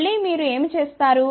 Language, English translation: Telugu, Again what you do